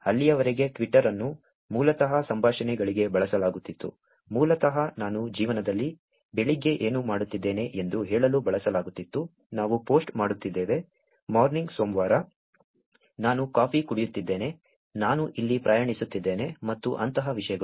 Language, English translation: Kannada, Until then Twitter was basically used for conversations, basically used for saying what I am doing in life in the morning, that we are posting, ‘Morning Monday’, ‘I am having coffee’, ‘I am traveling here’ and things like that